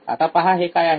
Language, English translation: Marathi, Now let us see what is it